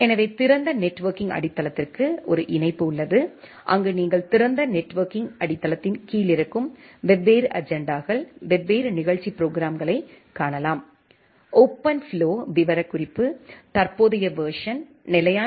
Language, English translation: Tamil, So, there is a link for open networking foundation, where you can find out the different standards, different agendas which are there under the open networking foundation, the OpenFlow specification the current version is stable version is 1